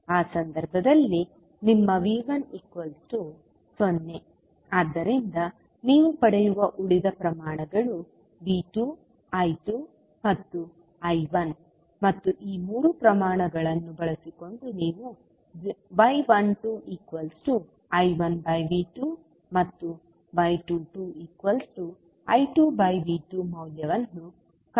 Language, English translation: Kannada, So in that case your V 1 will be 0, so, rest of the quantities which you will which you will obtain are V 2, I 2 and I 1 and using these three quantities you will find out the value of y 12 that is I 1 upon V 2 and y 22 that is I 2 upon V 2